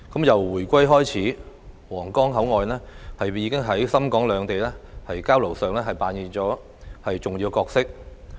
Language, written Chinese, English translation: Cantonese, 由回歸以來，皇崗口岸便在深港兩地交流上扮演着重要角色。, Since the reunification it has been playing an important role in the exchange between Shenzhen and Hong Kong